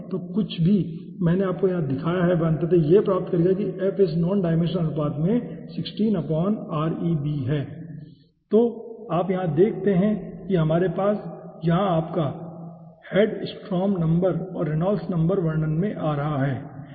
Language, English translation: Hindi, whatever i have shown you ultimately will be getting that this f is nothing but 16 by reb into this nondimensional number ratio where you see we are having your hedstrom number and reynolds number over here into picture